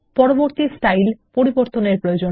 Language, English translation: Bengali, Set Next Style as Default